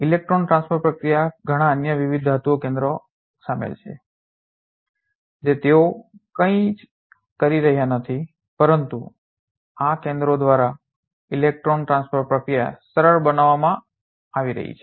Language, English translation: Gujarati, There are many other different metal centers involved in the electron transfer process they are doing just nothing else, but electron transfer process is getting facilitated by this center